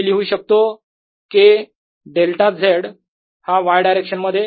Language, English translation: Marathi, so i can write k delta z in the y direction